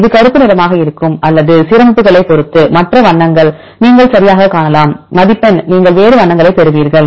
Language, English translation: Tamil, It will black or the you can see the other colors right depending upon the alignments score you will get different other colors